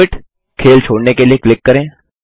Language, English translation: Hindi, Quit – Click to quit the game